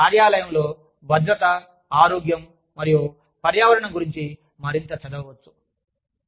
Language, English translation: Telugu, And, can read more about, safety, health, and environment, at the workplace